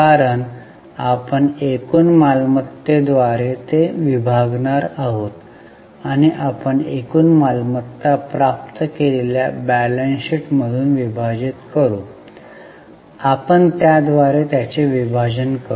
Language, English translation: Marathi, So we will take the total revenue here because we are going to divide it by total assets and we will divide it from the balance sheet we get total assets